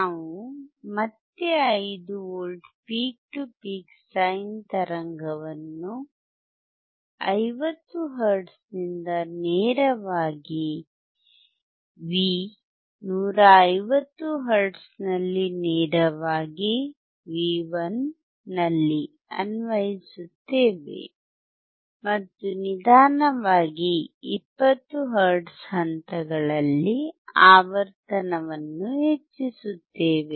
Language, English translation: Kannada, We will again apply a 5 V peak to peak sine wave from 50 hertz directly at V 150 hertz directly at V1 and slowly increase the frequency at steps of 20 hertz